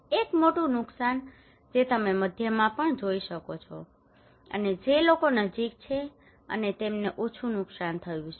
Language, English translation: Gujarati, A major damage you can see also in the middle and people who are close to and they have less damage